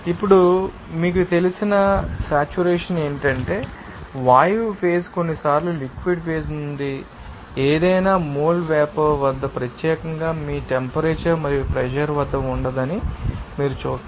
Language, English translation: Telugu, Now, saturation what is saturation you know, you will see that the gas phase sometimes cannot accommodate at any mole vapor from the liquid phase at particular you temperature and pressure